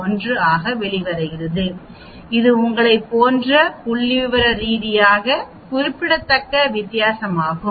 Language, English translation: Tamil, 0011 and it is a statistically significant difference as you can see here